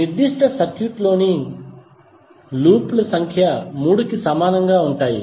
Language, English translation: Telugu, Loops in that particular circuit would be equal to 3